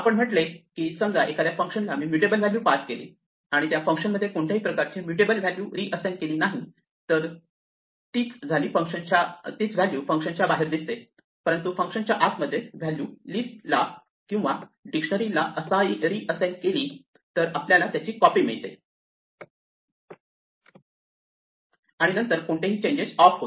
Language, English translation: Marathi, We said that if we pass a mutable value to a function so long as we do not reassign that thing any mutation inside the function will be reflected outside the function, but if we reassign to the list or dictionary inside the function we get a new copy and then after that any change we make is off